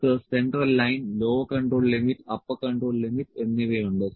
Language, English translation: Malayalam, So, we have central line, lower control limit, and upper control limit